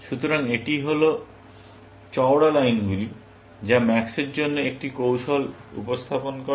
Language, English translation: Bengali, So, this is, the thick lines represent one strategy for max